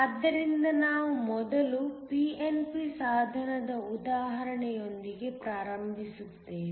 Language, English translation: Kannada, So, We will first start with an example of a pnp device